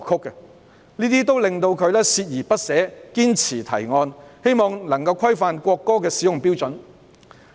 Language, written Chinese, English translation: Cantonese, 這些情況令他鍥而不捨，堅持提案，冀能規範國歌的使用標準。, Such cases had caused him to unswervingly submit the proposal on legislation in the hope of regulating the use of the national anthem